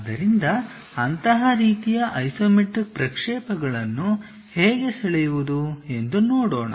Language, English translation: Kannada, Now, how to draw such kind of isometric projections